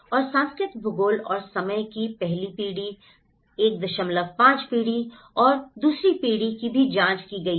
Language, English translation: Hindi, And the cultural geography and the time, that the first generation, 1